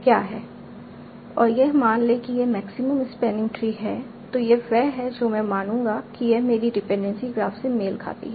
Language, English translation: Hindi, And this suppose this is the maximum spanning tree, then this is what I will assume corresponds to my dependency graph